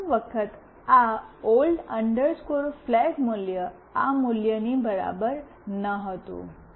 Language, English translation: Gujarati, For the first time this old flag value was not equal to this value